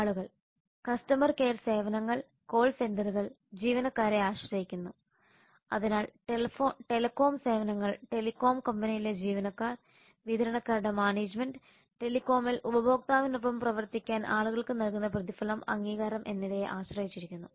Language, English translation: Malayalam, people the customer care services call centers depend on employees so lot of telecom services actually depend on the employees of the telecom company distributor's management and reward and recognition that is provided to people for them to work with the customer in telecom services